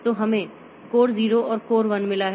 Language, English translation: Hindi, So, this is a CPU 0, this is a CPU 1